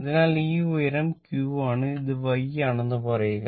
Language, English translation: Malayalam, So, this high it is the q and say this is y